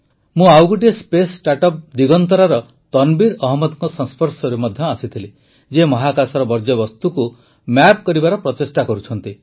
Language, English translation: Odia, I also met Tanveer Ahmed of Digantara, another space startup who is trying to map waste in space